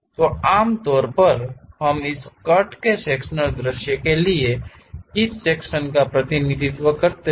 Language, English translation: Hindi, So, usually we represent which section we are representing for this cut sectional view